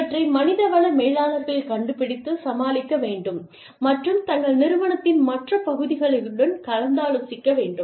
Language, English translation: Tamil, That is something, that the human resource managers, have to find out, and deal with, and communicate, to the rest of their organization